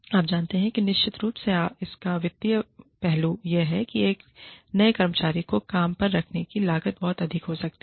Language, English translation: Hindi, You know, of course, the financial aspect of it is, that the cost of hiring a new employee is, can be very high